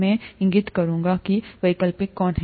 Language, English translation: Hindi, I will point out which are optional